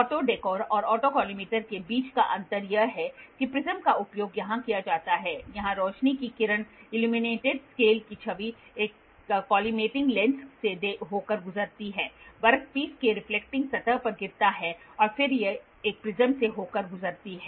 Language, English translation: Hindi, The difference between auto dekkor and auto collimator is the prism is used here the light beam carrying the image of the illuminated scale passes through a collimating lens falls on to the reflecting surface of the work piece, then it passes through a prism